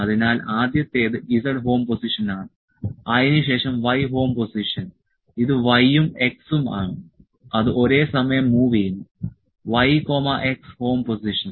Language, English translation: Malayalam, So, first is z home position, then y home position this is y and x are moving simultaneously y and x home position